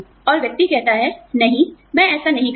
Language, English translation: Hindi, And, the person says, no, I will not do it